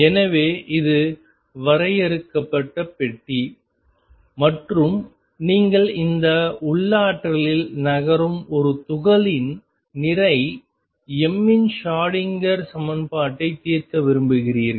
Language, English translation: Tamil, So, this is the finite box and you want to solve the Schrodinger equation for a particle of mass move m moving in this potential